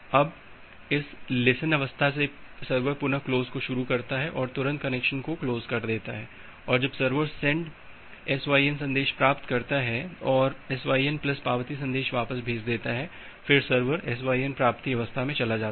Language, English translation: Hindi, Now, from this listen state again the server can execute a close and close the connection immediately, when the server has received a send SYN message and send back a SYN plus acknowledgement message, server moves to the SYN receive state